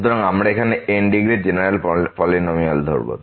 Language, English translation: Bengali, So, we assume here a general polynomial of degree